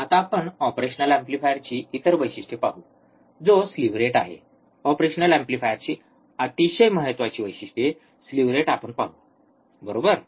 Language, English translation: Marathi, Now, let us see the other characteristics of an operational amplifier which is the slew rate, very important characteristics of the operational amplifier let us see, slew rate right